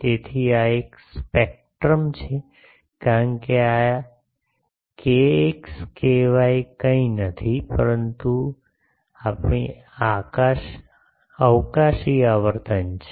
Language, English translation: Gujarati, So, this is a spectrum because this k x k y is nothing, but our spatial frequencies